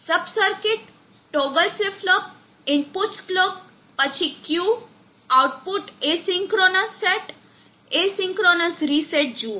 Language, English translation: Gujarati, See sub circuit toggle flip flop, the inputs clock, then Q, output AC could not set, AC could not reset